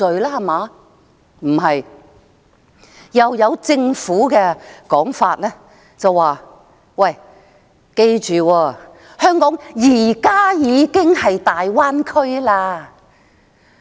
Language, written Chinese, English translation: Cantonese, 不是，政府另一的說法是："記住，香港現時已經是大灣區了。, Quite the opposite the Governments another proposition is Bear in mind that Hong Kong is now already part of the Greater Bay Area